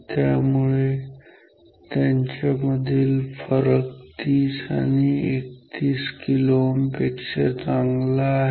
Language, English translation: Marathi, So, this gap between them is good enough compared to 30 kilo ohm and 31 kilo ohm ok